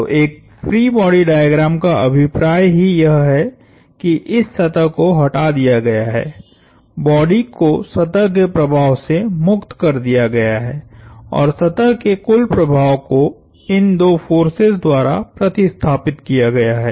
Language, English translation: Hindi, So, the whole idea of a free body diagram is that this surface has been removed, the body has been freed of the effect of the surface and the net effect of the surface has been replaced by these two forces